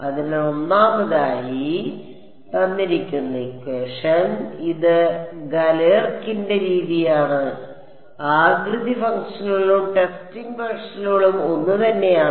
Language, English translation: Malayalam, It is Galerkin’s method so, shape functions and testing functions are the same